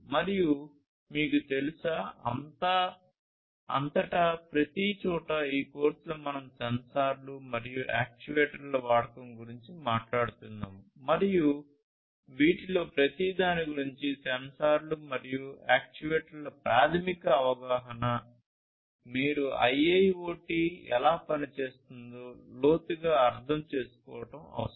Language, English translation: Telugu, And, you know, everywhere throughout you will see that in this course, we are talking about the use of sensors and actuators, and this preliminary understanding about each of these, the sensors and actuators, is necessary for you to have an in depth understanding about how IIoT works